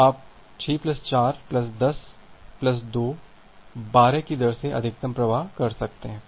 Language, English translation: Hindi, So, you can send a maximum flow at the rate of 6 plus 4 plus 10 plus 2, 12